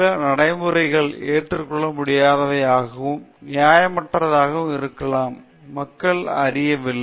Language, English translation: Tamil, People do not know that certain practices are unacceptable and unethical